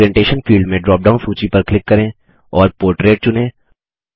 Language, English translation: Hindi, In the Orientation field, click on the drop down list and select Portrait